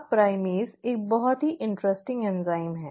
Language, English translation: Hindi, Now primase is a very interesting enzyme